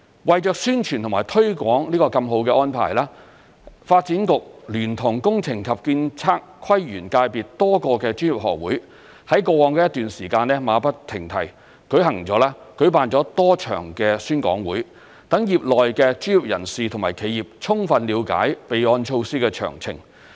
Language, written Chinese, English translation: Cantonese, 為宣傳和推廣這個這麼好的安排，發展局聯同工程及建築、測量、都市規劃及園境界別多個專業學會在過往一段時間馬不停蹄，舉辦了多場宣講會，讓業內的專業人士和企業充分了解備案措施的詳情。, In order to publicize and promote such a great arrangement the Development Bureau together with various professional institutes of the engineering architectural surveying town planning and landscape sectors have wasted no time in holding a number of conferences over the past period of time to enable professionals and corporations of the relevant industry to fully understand the details of this registration initiative